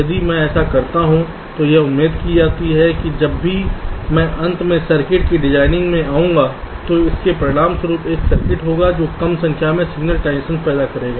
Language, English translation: Hindi, if i do this, it is expected that when i finally come to the designing of the circuit, it will result in a circuit which will be creating less number of signal transitions